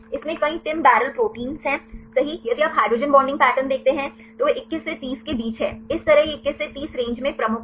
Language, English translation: Hindi, Several TIM barrel proteins right in this you if you see the hydrogen bonding pattern, they are between 21 to 30; this way it is dominant the in 21 to 30 range